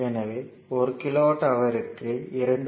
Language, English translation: Tamil, 5 per kilowatt hour so, 500 into 2